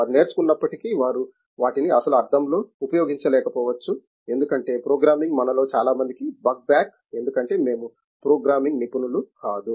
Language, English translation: Telugu, Even if they have learnt they may not be able to use them in the actual sense because the programming is a bugback of many of us because we are not professional programming people